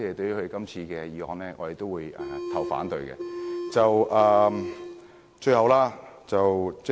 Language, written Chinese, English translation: Cantonese, 因此，我們自由黨會反對這項修正案。, Hence we in the Liberal Party oppose this amendment